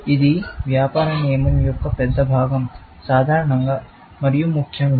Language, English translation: Telugu, It is a big part of business rule, in general, essentially